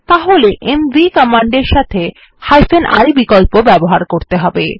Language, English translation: Bengali, We can use the i option with the mv command